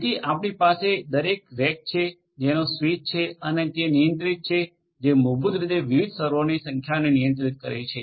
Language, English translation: Gujarati, So, we have every rack having a switch and is controlled it controls basically number of different servers